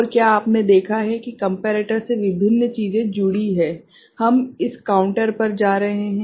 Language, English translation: Hindi, And you have you seen the various things from the comparator, we are going to this counter